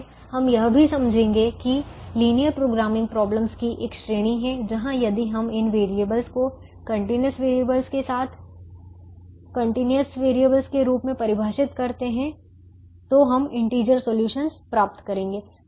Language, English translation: Hindi, we are not going to go deeper into that idea, but we will also understand that there are a class of linear programming problems where, even if we define these variables as continuous variables, we will end up getting integer solutions